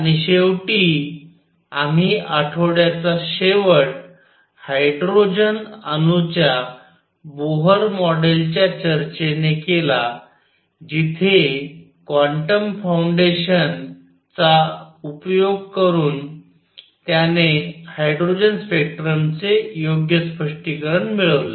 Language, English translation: Marathi, And finally, we ended the week with the discussion of Bohr model of hydrogen atom, where by applying quantum foundations, he obtained the correct explanation of hydrogen spectrum